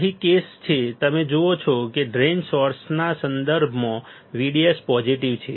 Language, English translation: Gujarati, Here the case is you see VDS right drain is positive with respect to source